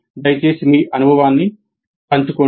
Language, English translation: Telugu, Please share your experience